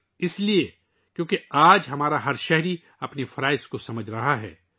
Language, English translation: Urdu, This is because, today every citizen of ours is realising one's duties